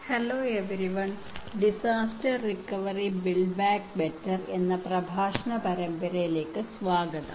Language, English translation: Malayalam, Hello everyone, Welcome to the lecture series on Disaster recovery and build back better